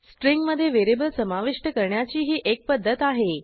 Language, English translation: Marathi, This shows a way of inserting a variable within a string